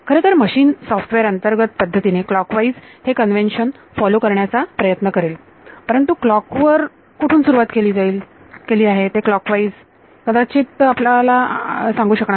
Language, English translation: Marathi, Well the machine software may internally try to follow a convention of clockwise, but clockwise still will not tell you where on the clock you are starting